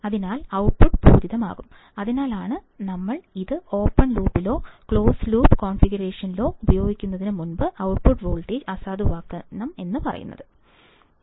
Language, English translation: Malayalam, So, output will be saturated, that is why before we use it in open loop or even in a closed loop configuration we have to always try to null the output voltage